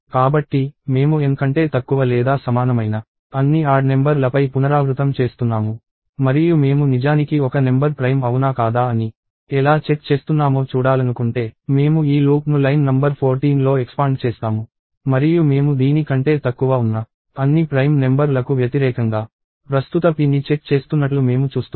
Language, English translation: Telugu, So, I am I iterating over all the odd numbers less than or equal to N right; and if I want to see how I am actually checking whether a number is prime or not, I expand this loop on line number 14 and I see that I am checking the current p against all the prime numbers that are less than this